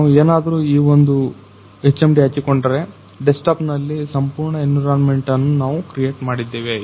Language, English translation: Kannada, So, if we will wear this particular HMD, so we have created the complete environment in the desktop